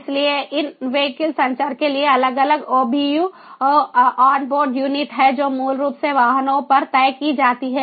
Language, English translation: Hindi, so in vehicle communication, for that there are different obus, the on board units that are basically fixed on the vehicles